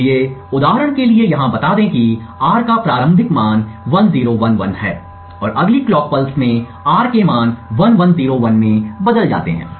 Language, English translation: Hindi, So, for example over here let us say that the initial value of R is 1011 and in the next clock pulse the register changes to the value of 1101